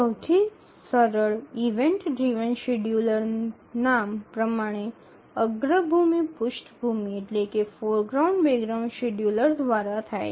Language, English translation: Gujarati, The simplest event driven scheduler goes by the name foreground background scheduler